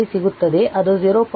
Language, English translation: Kannada, 5 it is 0